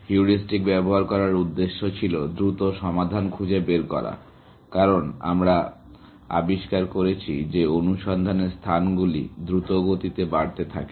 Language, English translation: Bengali, The idea of using heuristics was to find solutions faster, because we discovered that search spaces tend to grow exponentially